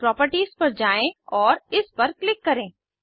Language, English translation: Hindi, Navigate to Properties and click on it